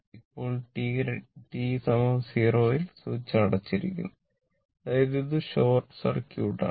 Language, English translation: Malayalam, Now, switch is closed at t is equal to 0 mean this is short circuit